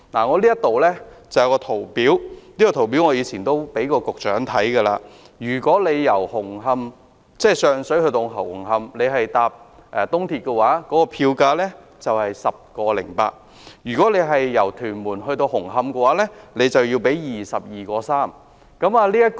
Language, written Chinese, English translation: Cantonese, 我手上有一份圖表——我過往亦曾給局長看過——乘搭東鐵綫由上水到紅磡的票價是 10.8 元，但由屯門到紅磡則要支付 22.3 元。, I have in my hands a chart―which I have also shown to the Secretary before―The fare from Sheung Shui to Hung Hom on EAL is 10.8 but it costs 22.3 to get to Hung Hom from Tuen Mun